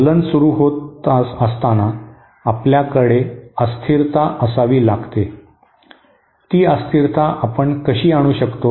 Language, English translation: Marathi, So at the start of the oscillation, we have to have an instability, how do we introduce that instability